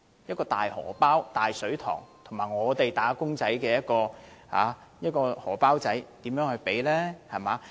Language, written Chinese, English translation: Cantonese, 一個是"大荷包"、"大水塘"，另一個是"打工仔"的"小荷包"，根本無法比較。, One is a deep pocket and a massive pool of wealth whereas the other is a flat wallet of the humble workers―the two are simply incomparable